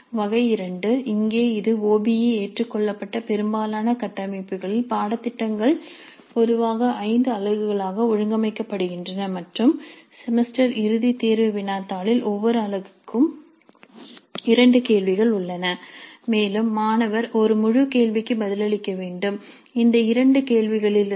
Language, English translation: Tamil, The type 2 here it is based on the fact that in most of the OBE adopted frameworks the cellobus is typically organized into five units and the semester end examination question paper has two questions corresponding to each unit and the student has to answer one full question from these two questions